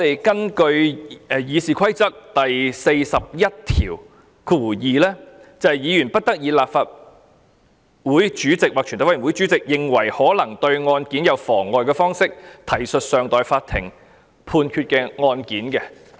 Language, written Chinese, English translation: Cantonese, 根據《議事規則》第412條，"議員不得以立法會主席或全體委員會主席認為可能對案件有妨害的方式，提述尚待法庭判決的案件"。, Rule 412 of the Rules of Procedure provides Reference shall not be made to a case pending in a court of law in such a way as in the opinion of the President or Chairman might prejudice that case